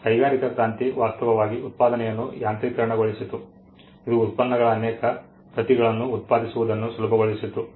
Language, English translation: Kannada, Industrial revolution actually mechanized manufacturing; it made producing many copies of products easier